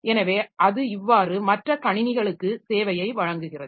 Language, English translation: Tamil, So, that way it provides service to other systems